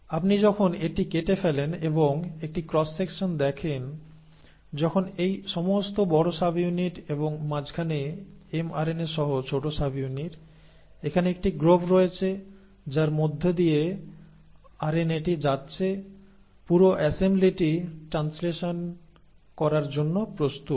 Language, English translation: Bengali, So when you cut it across and see a cross section, when this entire large subunit and the small subunit along with mRNA in between; so there is a groove here in, through which the RNA is passing through, you, the whole assembly is ready for translation